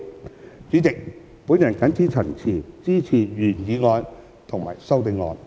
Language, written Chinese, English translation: Cantonese, 代理主席，我謹此陳辭，支持原議案及修正案。, Deputy President with these remarks I support the original motion and the amendment